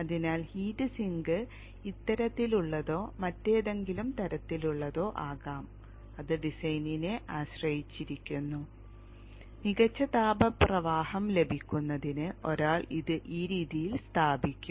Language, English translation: Malayalam, So the heat sink can be of this type like or any other type depends upon the design and one will mount it in this fashion to get a better thermal flow